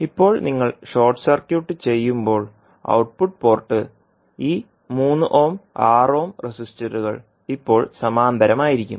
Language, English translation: Malayalam, Now when you short circuit the output port these 3 ohm and 6 ohm resistance will now be in parallel